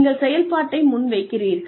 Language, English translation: Tamil, Then, you present the operation